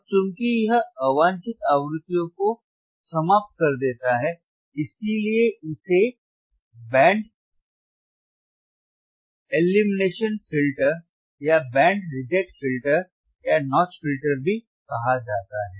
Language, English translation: Hindi, Now, since it eliminates frequencies, since it eliminates a frequencies unwanted frequencies, it is also called it is also called band elimination filter; it is also called band elimination filter or band reject filter band reject filter or notch filter